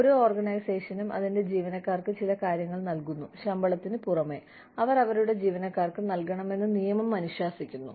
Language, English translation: Malayalam, Law mandates that, every organization provides, some things for its employees, in addition to the salary, they are giving their employees